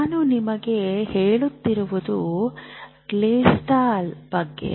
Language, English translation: Kannada, So what I was telling you is about gestalt